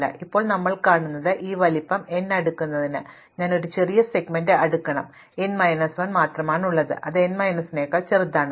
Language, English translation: Malayalam, So, now what we see is that in order to sort this array of size n, I have to then sort a smaller segment which is only n minus 1 it no more smaller than n minus 1